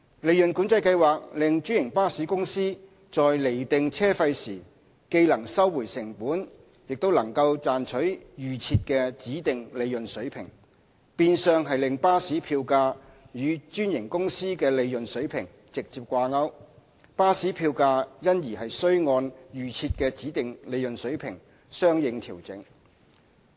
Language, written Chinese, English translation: Cantonese, 利潤管制計劃令專營巴士公司在釐定車費時既能收回成本，亦能賺取預設的指定利潤水平，變相令巴士票價與專營公司的利潤水平直接掛鈎，巴士票價因而須按預設的指定利潤水平相應調整。, Under PCS the bus fares of a franchised bus company are to be set at a level which allows cost recovery plus a predetermined level of profit . This in effect links the level of bus fares directly with the profit level of the franchise . Bus fares would accordingly have to be adjusted according to the predetermined level of profit